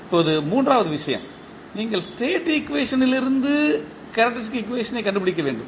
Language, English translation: Tamil, Now the third case, when you need to find out the characteristic equation from State equation